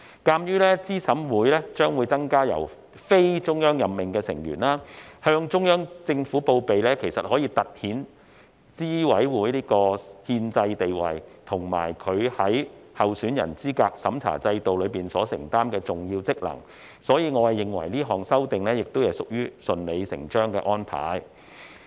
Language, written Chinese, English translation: Cantonese, 鑒於資審會將會增加非中央任命的成員，向中央政府報備可以突顯資審會的憲制地位，以及其在候選人資格審查制度中所承擔的重要職能，所以，我認為這項修正案亦屬於順理成章的安排。, Given that there will be additional members in CERC who are not officials appointed by the Central Authorities reporting to the Central Government for the record can accentuate the constitutional status of CERC and the important functions it undertakes in the candidate eligibility review system . For this reason I regard this amendment as a logical arrangement